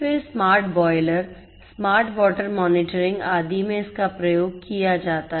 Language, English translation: Hindi, Then smart boilers, smart water monitoring and so on